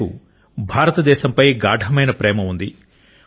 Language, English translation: Telugu, He has deep seated love for India